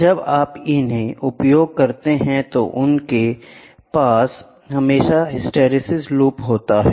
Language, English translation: Hindi, When you use, they always have something called as hysteresis loop